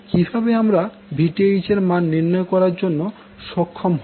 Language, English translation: Bengali, Now, you need to find the value of Vth